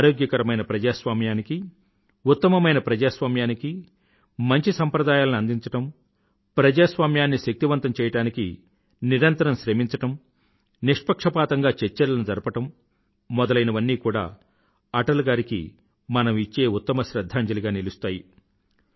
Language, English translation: Telugu, I must say that developing healthy traditions for a sound democracy, making constant efforts to strengthen democracy, encouraging openminded debates would also be aappropriate tribute to Atalji